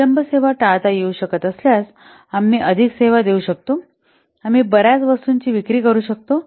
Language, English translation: Marathi, If the delay can be avoided, the service we can provide more services, we can sell more number of products